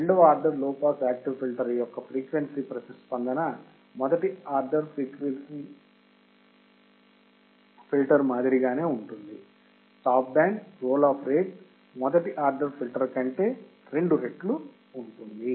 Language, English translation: Telugu, The frequency response of the second order low pass active filter is identical to that of first order, except that the stop band roll off rate will be twice of first order